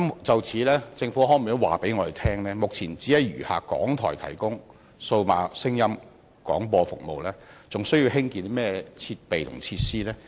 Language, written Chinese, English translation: Cantonese, 就此，政府可否告知本會，由於目前只餘下港台提供數碼廣播服務，是否還需要興建設備和設施？, In this connection will the Government inform this Council if there is still any need to construct the equipment and facilities given that RTHK has now become the only remaining broadcaster to provide DAB services?